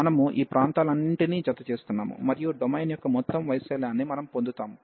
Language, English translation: Telugu, So, we are adding all these areas, and we will get the total area of the domain D